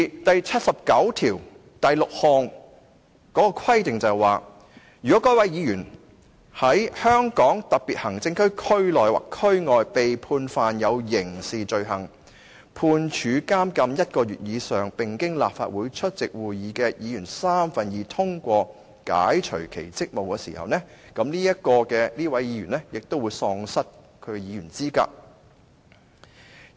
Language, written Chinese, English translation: Cantonese, 第七十九條第六項的規定指，如果該位議員"在香港特別行政區區內或區外被判犯有刑事罪行，判處監禁一個月以上，並經立法會出席會議的議員三分之二通過解除其職務"時，這位議員也會喪失其議員資格。, Article 796 stipulates that when a Member is convicted and sentenced to imprisonment for one month or more for a criminal offence committed within or outside the Region and is relieved of his or her duties by a motion passed by two - thirds of the members of the Legislative Council present this Member will no longer be qualified for the office